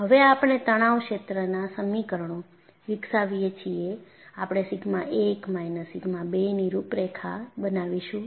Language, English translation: Gujarati, As soon as, we develop the stress field equations, we would plot contours of sigma 1 minus sigma 2